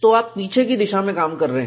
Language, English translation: Hindi, So, you are working backwards